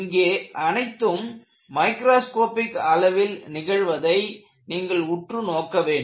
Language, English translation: Tamil, So, what you will have to look at is, all of these happen at a microscopic level